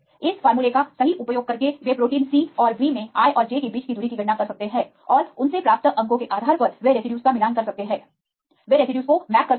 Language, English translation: Hindi, Using this formula right they can calculate the distance between i and j in protein c and b and they get the based on the score they can match the residues, they can map the residues